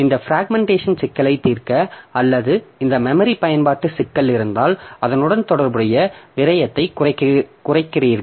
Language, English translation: Tamil, So, to resolve this fragmentation problem, so if I or this memory utilization problem, we reduce the wastage corresponding to that